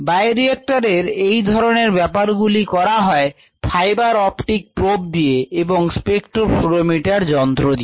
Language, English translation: Bengali, what is done is ah fiber optic probe is interfaced with a spectra fluorimeter